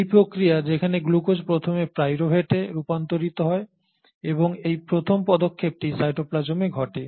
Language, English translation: Bengali, This process where the glucose first gets converted to pyruvate and this first step happens in the cytoplasm